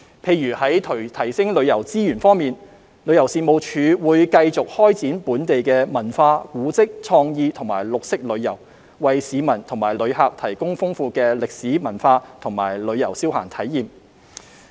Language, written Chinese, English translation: Cantonese, 例如在提升旅遊資源方面，旅遊事務署會繼續開展本地文化、古蹟、創意和綠色旅遊，為市民和旅客提供豐富的歷史文化及旅遊消閒體驗。, For example in enhancing tourism resources the Tourism Commission will continue to develop local cultural heritage creative and green tourism to offer leisure and travel experience with rich historical and cultural elements to both locals and visitors